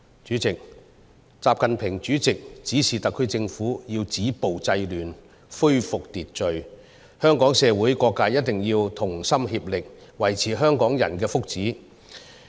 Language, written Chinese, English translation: Cantonese, 主席，習近平主席指示特區政府要止暴制亂、恢復秩序，香港社會各界一定要同心協力，維護香港人的福祉。, President President XI Jinping has instructed the SAR Government to stop violence and curb disorder and also to restore order in Hong Kong . Different sectors of society must work together to safeguard the wellbeing of Hong Kong people